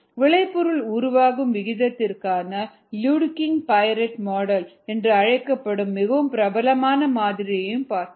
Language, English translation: Tamil, then we looked at the very popular model called the luedeking piret model for the product formation rate which goes us